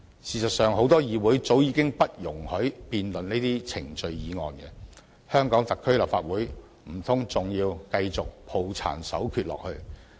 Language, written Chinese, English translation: Cantonese, 事實上，很多議會早已不容提出辯論程序的議案，香港特區立法會難道還要抱殘守缺下去？, In fact many overseas parliaments have disallowed the moving of motions to debate on procedures long ago . Why should the Legislative Council of the Hong Kong Special Administrative Region hold on to the outmoded?